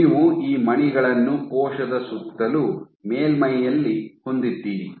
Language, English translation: Kannada, So, you have these beads sitting in an around the cell, on the top surface